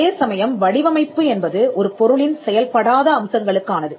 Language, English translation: Tamil, So, design only protects non functional aspects of a product